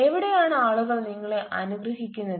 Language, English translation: Malayalam, where people bless you